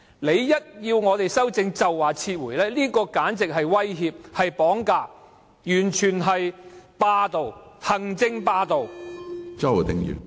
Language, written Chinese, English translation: Cantonese, 議員一提出修正案，政府便說要撤回法案，簡直是威脅、是綁架，完全是霸道、行政霸道。, If the Government threatens to withdraw the bill whenever Members propose any amendment it is downright threatening and hijacking the Council an indication of executive hegemony